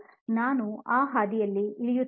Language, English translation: Kannada, I am not going down that path